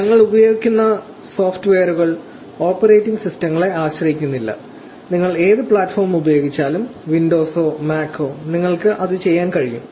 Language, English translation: Malayalam, The software we will be using are not dependent on the operating systems no matter what platform you using Windows or Mac, you should be able to do it